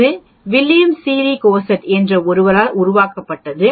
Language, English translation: Tamil, This was this was developed by somebody called William Sealy Gosset